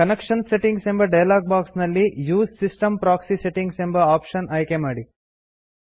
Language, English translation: Kannada, In the Connection Settings dialog box, select the Use system proxy settings option